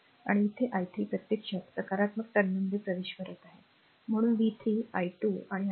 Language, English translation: Marathi, And here i 3 actually entering into the positive terminal so, v 3 will be 12 i 3